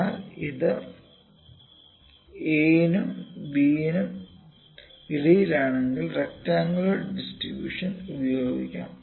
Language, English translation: Malayalam, But if it is between a and b rectangular distribution can be used